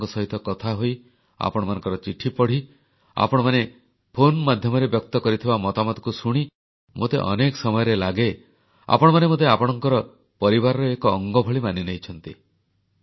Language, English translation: Odia, Many times while conversing with you, reading your letters or listening to your thoughts sent on the phone, I feel that you have adopted me as part of your family